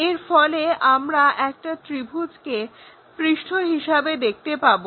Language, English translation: Bengali, So, we will see a triangle is the surface